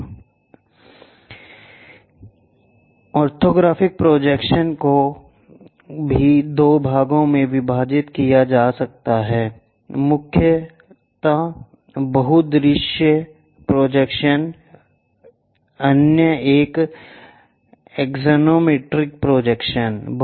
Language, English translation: Hindi, This, orthogonal projections are also divided into two parts mainly multi view projections, the other one is axonometric projections